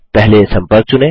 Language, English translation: Hindi, First, select the Contact